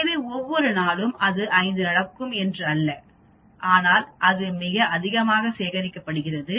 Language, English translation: Tamil, So it is not that every day it will be happen 5 but it is collected over a very long time and that is called a population